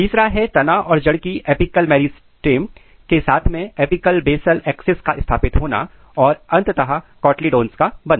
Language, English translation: Hindi, Third important things what happens is the positioning of shoot and root apical meristem along the apical basal axis and finally, there is a formation of cotyledons